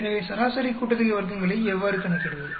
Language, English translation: Tamil, So, how do you calculate a mean sum of square sum of squares